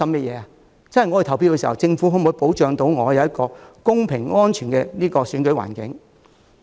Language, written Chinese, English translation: Cantonese, 便是他們投票時，政府可否保障他們享有一個公平和安全的選舉環境。, Their concern is whether the Government can safeguard their right to a fair and safe election environment